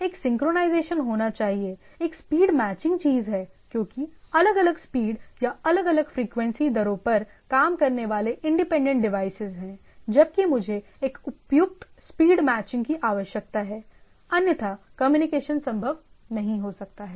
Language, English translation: Hindi, So, there should be a synchronization, appropriate synchronization of the thing, there is a speed matching thing, because there are independent devices working at different speed or different frequency rate whereas I need to have a appropriate speed matching otherwise the communication may not be possible